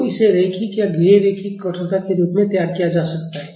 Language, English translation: Hindi, So, it can be modeled as linear or non linear stiffness